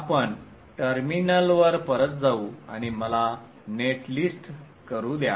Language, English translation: Marathi, So we go back to the terminal and let me do the net list